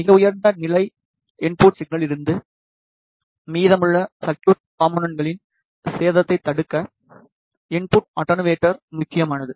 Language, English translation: Tamil, The, input attenuator is important to prevent the damage of rest of the circuit components from a very high level input signal